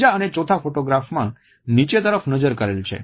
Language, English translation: Gujarati, The third and the fourth photographs depict the gaze which is downwards